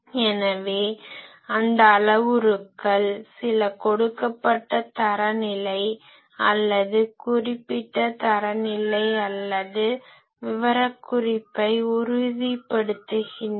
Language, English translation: Tamil, So, those some of those parameters confirms to a given standard or specified standard or specification